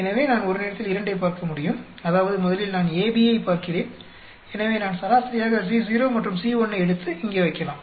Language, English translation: Tamil, So, I can look two at a time; that means, first I look at AB so, I can take an average of C naught and C 1 and put it here